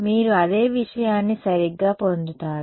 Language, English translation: Telugu, You will get the same thing right